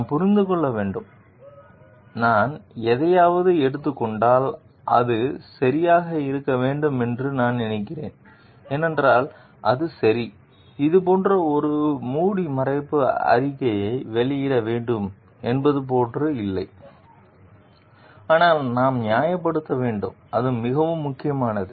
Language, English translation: Tamil, And like we have to understand like, if I take something is I think it to be right because, it is right, it is not like we should be making a covering statement like that, but we need to justify; that is very important